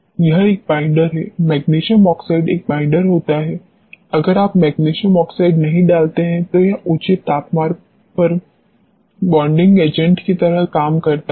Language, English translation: Hindi, It is a binder, magnesium oxide happens to be a binder, if you do not put magnesium oxide it acts like a binding agent at elevated temperature